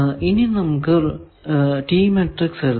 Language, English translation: Malayalam, Now, come to the T matrix